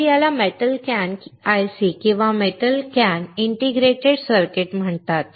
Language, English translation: Marathi, So, this is called metal can IC or metal can integrated circuit